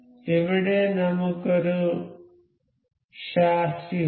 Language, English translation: Malayalam, So, here we have is a chassis